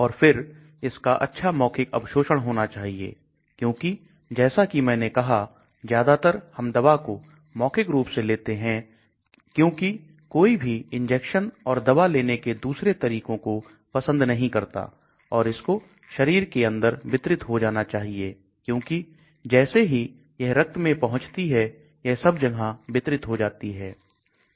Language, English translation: Hindi, Then, it should have good oral absorption because as I said most of time we take drugs orally because nobody likes injection and different modes of the intake of drugs and it should get distributed inside the body because as soon as it reaches the blood the drug has get distributed everywhere